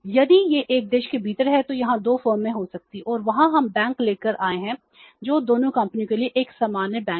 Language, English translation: Hindi, If it is within one country there might be two forms and they will be brought together by bank which is a common bank to both the firms